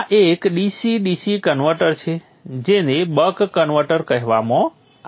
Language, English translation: Gujarati, This is a DC DC converter called the buck converter